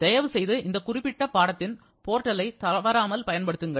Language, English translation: Tamil, Please regularly use the portal of this particular course